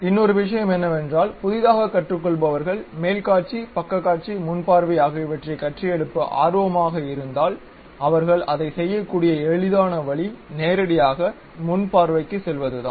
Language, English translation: Tamil, One more thing if because of beginners if one is interested in constructing top view, side view, front view, the easiest way what they can prepare is straight away they can go to front view